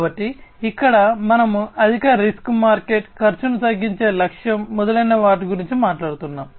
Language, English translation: Telugu, So, here we are talking about you know things such as high risk market, target for lowering cost, etc